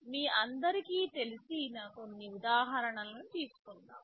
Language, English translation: Telugu, Let us take some examples that you all know about